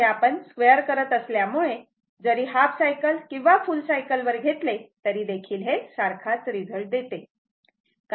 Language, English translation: Marathi, So, I told you that as soon as squaring it, if you take half cycle or full cycle, it will give you the same result right